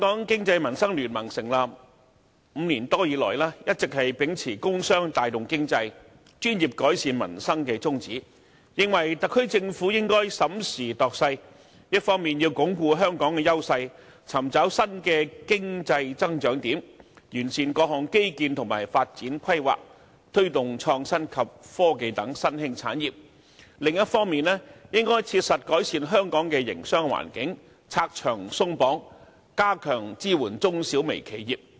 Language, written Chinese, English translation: Cantonese, 經民聯成立5年多以來，一直秉持"工商帶動經濟、專業改善民生"的宗旨，認為特區政府應審時度勢，一方面要鞏固香港的優勢，尋找新的經濟增長點，完善各項基建和發展規劃，推動創新及科技等新興產業；另一方面，應切實改善香港的營商環境，拆牆鬆綁，加強支援中小微企業。, BPA has over the past five - odd years since its establishment all along adhered to the principle of business drives economy and professionalism improves livelihood . We think that the SAR Government should carefully assess the current situation . It should on the one hand consolidate Hong Kongs strengths look for new areas of economic growth improve various infrastructural and development plans as well as promote merging industries such as innovation and technology; and on the other hand it should practically improve Hong Kongs business environment remove unnecessary restrictions and step up the support for medium small and micro enterprises